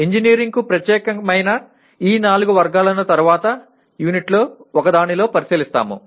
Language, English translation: Telugu, We will look at these four categories specific to engineering in one of the units later